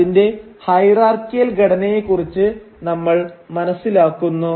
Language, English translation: Malayalam, We come to know of its hierarchical structure